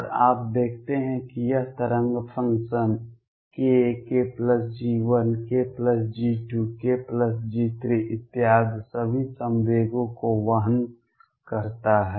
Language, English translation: Hindi, And you see this wave function carries all momenta k, k plus G 1 k plus G 2 k plus G 3 and so on